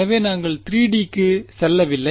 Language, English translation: Tamil, So, we’re not going to 3D ok